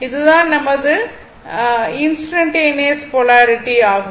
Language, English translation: Tamil, And this is your instantaneous polarity